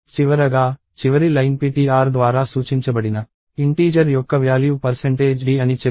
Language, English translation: Telugu, And finally, the last line says the value of the integer pointed to by ptr is percentage d